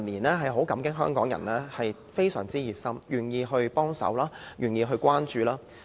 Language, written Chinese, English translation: Cantonese, 我們很感激香港人近年非常熱心，願意幫忙和關注。, We are very grateful that people in Hong Kong are very concerned and willing to help and show attention